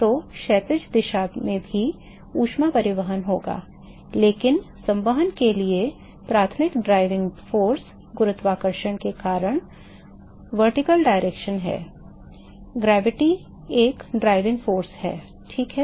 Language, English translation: Hindi, So, there will be heat transport in the horizontal direction too, but the primary driving force for convection is the vertical direction because of gravity, gravity is a driving force ok